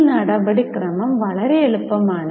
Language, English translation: Malayalam, I think it is very simple